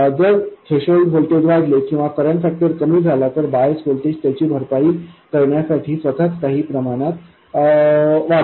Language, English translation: Marathi, If the threshold voltage increases or the current factor drops, this bias voltage itself increases to compensate for it to some extent